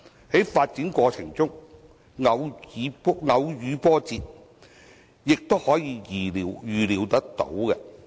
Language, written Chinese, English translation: Cantonese, 在發展過程中偶遇波折，也是可以預料的。, Occasional setbacks are expected in the course of development